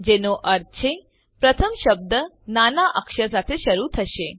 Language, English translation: Gujarati, Which means that the first word should begin with a lower case